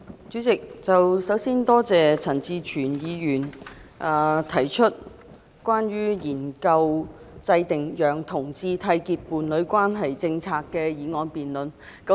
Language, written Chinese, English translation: Cantonese, 主席，首先，多謝陳志全議員提出"研究制訂讓同志締結伴侶關係的政策"的議案辯論。, President first of all I wish to thank Mr CHAN Chi - chuen for proposing the motion debate on Studying the formulation of policies for homosexual couples to enter into a union